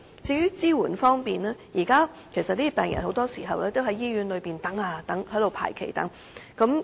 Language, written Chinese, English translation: Cantonese, 在支援方面，有關病人很多時候只能在醫院排期等候。, Speaking of support the patients concerned very often can only wait for a consultation time slot at hospitals